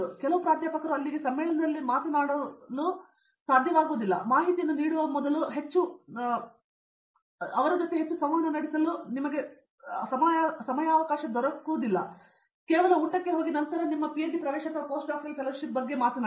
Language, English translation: Kannada, some professors might not find to talk to at the conference there itself, before giving them information would help you to interact with them in a much more descent manner, just say go for a dinner then talk about your PhD admission or post doctoral fellowship